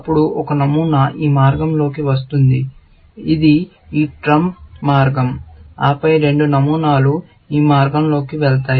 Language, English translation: Telugu, Then, one pattern will come down this path, which is that trump path, and then, two patterns will go down this path